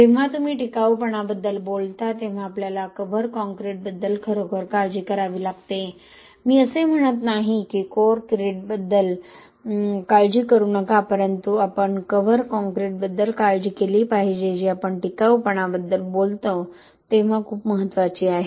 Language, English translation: Marathi, When you talk about durability we have to really worry about the cover concrete and not, I mean I am not saying not to worry about the core crete but we must worry about the cover concrete that is very very important when you talk about durability